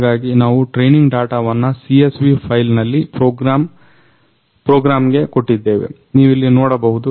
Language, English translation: Kannada, So for the training data, here we have given the training data to the program in CSV file you can see here